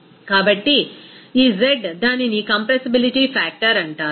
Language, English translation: Telugu, So, this z it is called that compressibility factor